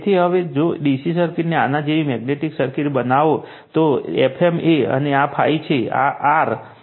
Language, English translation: Gujarati, So, now if we make the DC circuit magnetic circuit like this, so this is F m, and this is phi, this is R